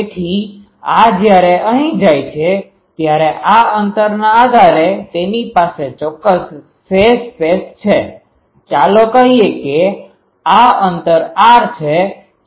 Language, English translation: Gujarati, So, this one when it goes here, it has certain phase space depending on these distance, let us say this distance is r